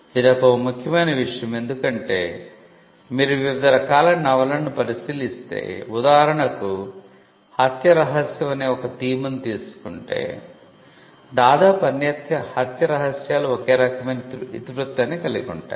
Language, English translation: Telugu, This is a good thing because, if you look at various genres of novels say for instance murder mystery almost all murder mysteries have a similar theme to follow